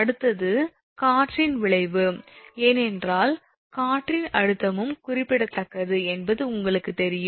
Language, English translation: Tamil, Next one is the effect of the wind, because wind also you know wind pressure is also significant